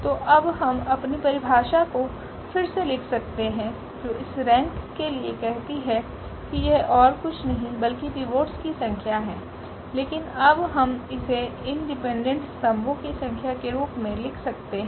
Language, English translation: Hindi, So, now we can rewrite our definition which says for this rank that this is nothing but a number of pivots, but now we can write down as the number of independent columns